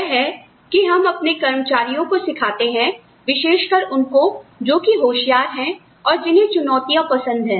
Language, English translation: Hindi, That, we train our employees, especially those that are really bright, that enjoy challenge